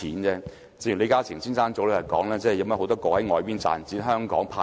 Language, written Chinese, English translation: Cantonese, 正如李嘉誠兩天前說，有很多業務是在國外賺錢，香港派息。, As LI Ka - shing said two days ago many of his profits are generated by business overseas yet the dividends are paid in Hong Kong